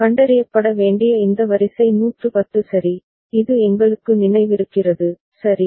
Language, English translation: Tamil, And this sequence to be detected was 110 ok, this we remember, right